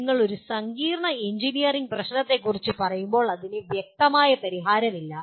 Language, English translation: Malayalam, And when you talk about a complex engineering problem, it has no obvious solution